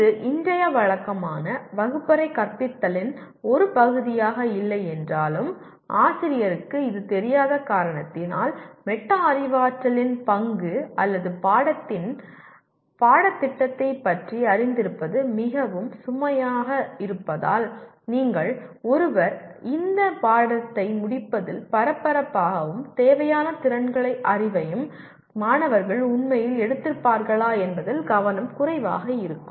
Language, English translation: Tamil, While this is not part of regular classroom teaching as of today because either because teacher is not aware of it, aware of the role of metacognition or the syllabus of the course is so overloaded you are/ one is busy with covering the subject rather than making sure that the students have really picked up the required skills and knowledge